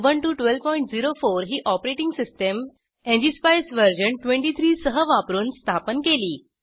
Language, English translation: Marathi, Ubuntu 12.04 is the operating system used with ngspice version 23 installed